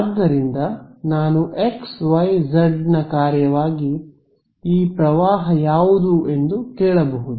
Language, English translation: Kannada, So, the J x, y, z I can ask what is this current as a function of xyz